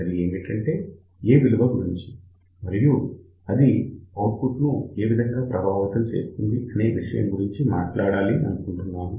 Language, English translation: Telugu, Now, I am going to talk about one very very important thing and that is what about the value of A and how this value of A affects the output